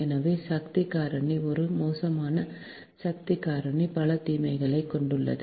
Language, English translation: Tamil, therefore power factor is an poor power factor has lot of disadvantages